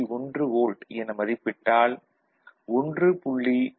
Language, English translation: Tamil, 1 volt, that is 1